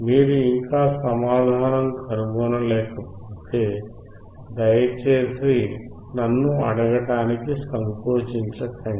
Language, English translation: Telugu, If you still cannot find the answer please feel free to ask me